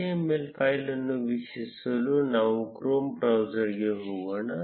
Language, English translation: Kannada, To view the html file, let us go to the chrome browser